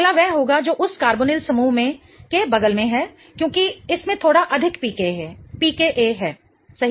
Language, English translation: Hindi, The next one would be the one that is next to that carbonyl group because it has a little higher PCA, right